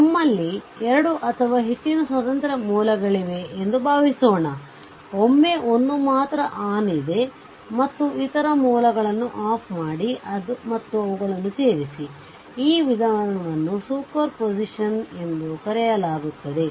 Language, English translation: Kannada, Suppose we have 2 or more independent sources, then you consider one at a time other sources should be your turn off right and you add them up right, then these approach is known as a super position